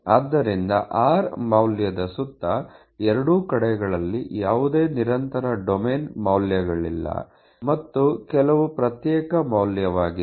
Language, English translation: Kannada, So, around the value r; there are as such no other continues domain values on both sides and everything is discretise